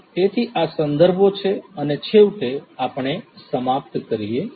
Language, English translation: Gujarati, So, these are these references and finally, we come to an end